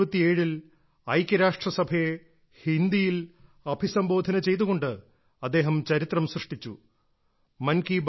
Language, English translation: Malayalam, In 1977, he made history by addressing the United Nations in Hindi